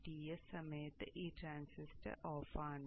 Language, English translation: Malayalam, So during the DTS period this transistor is on